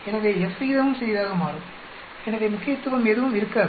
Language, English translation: Tamil, So, the F ratio also will become small so there would not be any significant